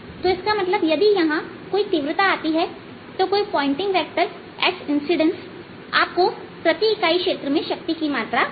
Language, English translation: Hindi, so that means, if there is some intensity coming in some pointing vector, s incident pointing vector gives you the amount of power coming per unit area